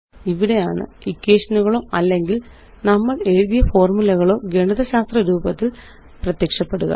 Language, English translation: Malayalam, This is where the equations or the formulae we write will appear in the mathematical form